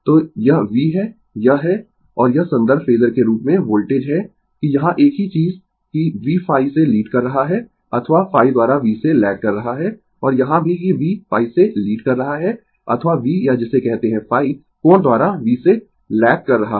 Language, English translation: Hindi, So, this is V, this is I and this is voltage as reference phasor that here same thing that ah v is leading I by phi or I lags from V by phi and here also v is leading phi or v or what you call I lags from V by phi angle